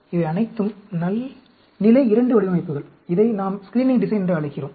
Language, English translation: Tamil, All these are 2 level designs, and we call it as screening design